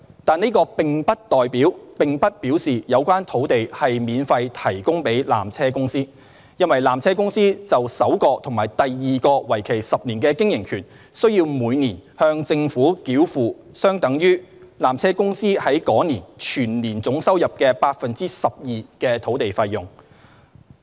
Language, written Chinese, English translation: Cantonese, 但是，這並不表示有關土地是免費提供予纜車公司，因為纜車公司就首個及第二個為期10年的經營權，須每年向政府繳付相等於纜車公司在該年總收入 12% 的土地費用。, However this does not mean that the land is provided free of charge to PTC because for the first and second 10 - year operating rights PTC has to pay to the Government annually a sum of consideration equivalent to 12 % of its total annual revenue received in the year